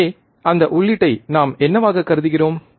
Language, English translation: Tamil, So, in what we are assuming that input